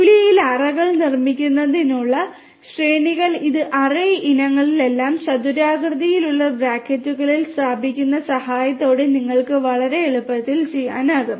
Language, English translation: Malayalam, Arrays to build arrays in Julia you can do it very easily with the help of putting all these array items within square brackets